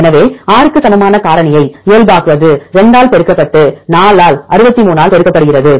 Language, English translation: Tamil, So, normalizing factor equal to 6 multiplied by 2 multiplied by 4 by 63 divided by 100